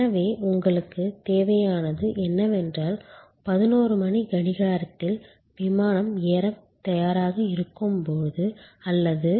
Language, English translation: Tamil, So, what you want is that at a 11'o clock when the flight is ready to board or maybe 22